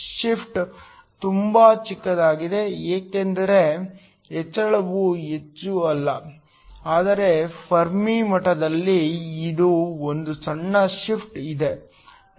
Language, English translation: Kannada, The shift is very small because the increase is not that much, but there is still a small shift in the Fermi level